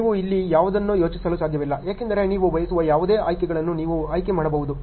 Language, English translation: Kannada, You cannot think of anything here because it is like you can choose any options you want ok